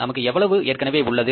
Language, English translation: Tamil, How much we have